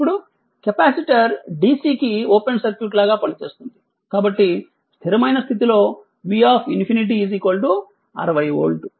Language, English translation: Telugu, Now, since the capacitor acts like an open circuit to dc, at the steady state V infinity is equal to 60 volt